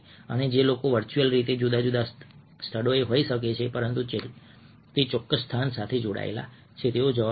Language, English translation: Gujarati, ok, and people who might be virtually in different places but are attest to that particular location will respond to that